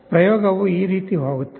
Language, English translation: Kannada, The experiment goes like this